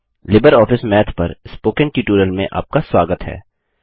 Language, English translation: Hindi, Welcome to the Spoken tutorial on LibreOffice Math